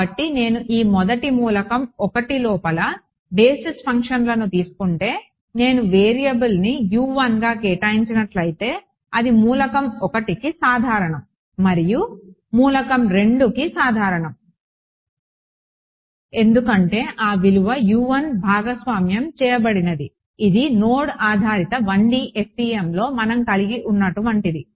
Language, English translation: Telugu, So, if I take the basis functions inside this first element 1, let us say an element 2 along this edge if I assign the variable to be U 1 then that U 1 is common for element 1 and its common for element 2 because that that value U 1 is shared is it like what we had in the node based 1D FEM